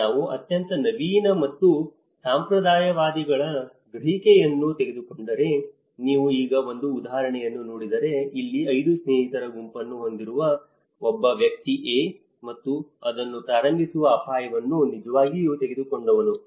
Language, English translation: Kannada, Now, if we take the perception of the most innovative and the conservative, if you see an example now, here a person A who have a group of 5 friends and he is the one who have actually taken the risk of starting it